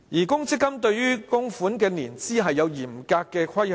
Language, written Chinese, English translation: Cantonese, 公積金對於供款的年資有嚴格的規限。, Provident funds have strict restrictions regarding the years of contribution